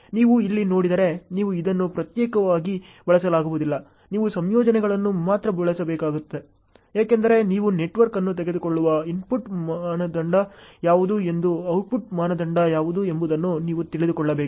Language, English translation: Kannada, If you see here, so you cannot use this separately, you have to use combinations only because you need to know what is the input criteria for taking up the network and what is the output criteria ok